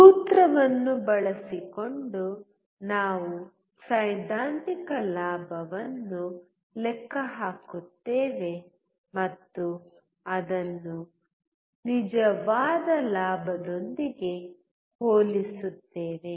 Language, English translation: Kannada, Using the formula, we calculate the theoretical gain and compare it with the actual gain